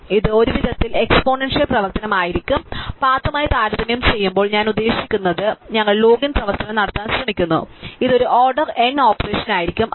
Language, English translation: Malayalam, So, this will be exponential operation in some sense depend I mean compare to the path, so we are try to do log n operation, this will be a order n operation